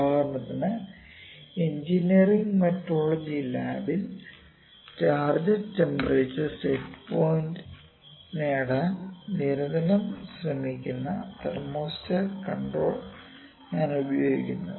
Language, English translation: Malayalam, For example, I can say if I like me say Engineering Metrology lab I am using at thermostat controller that is constantly trying to achieve target temperature set point, ok